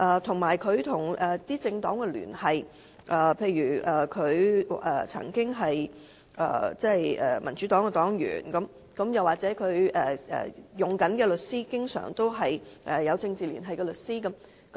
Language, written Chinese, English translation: Cantonese, 他與政黨的聯繫也成疑，例如他曾經是民主黨黨員，他聘用的律師經常是有政治聯繫的律師。, His affiliations with political parties also attribute to our suspicion . For instance he was a member of the Democratic Party before and the solicitors he hires are often solicitors with political affiliations